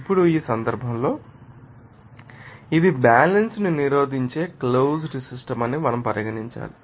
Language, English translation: Telugu, Now, in this case, we have to consider that this is a closed system that resists equilibrium